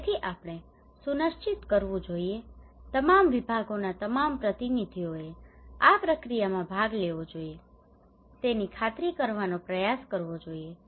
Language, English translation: Gujarati, So we should ensure, try to ensure that all the representative of all sections should participate into this process